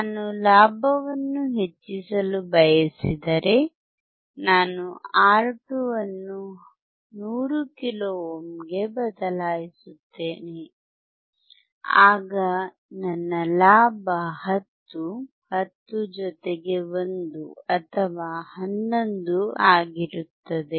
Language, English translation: Kannada, If I want to increase the gain then I change R2 to 100 kilo ohm, then my gain would be 10, 10 plus 1 or 11